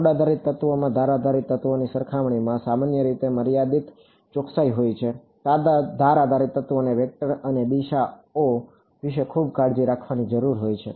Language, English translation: Gujarati, Node based elements typically have limited accuracy compared to edge based elements, edge based elements required to be very careful about vectors and directions ok